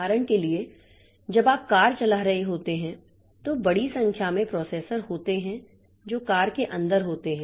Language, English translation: Hindi, For example, when you are driving a car there are a large number of processors which are inside the car